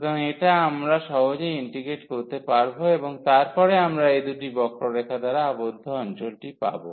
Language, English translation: Bengali, So, which we can easily integrate and then we will get the area enclosed by these two curves